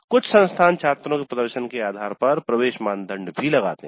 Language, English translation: Hindi, Some institutes even put an entry criteria based on the performance of the students